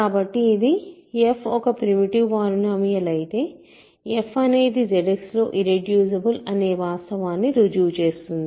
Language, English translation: Telugu, So, that proves the fact that if f is a primitive polynomial then f is also irreducible in Z X, ok